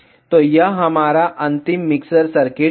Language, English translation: Hindi, So, this is our final mixer circuit